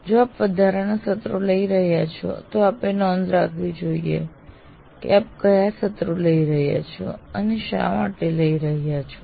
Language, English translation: Gujarati, But if you are taking extra sessions, you should record why you are taking that session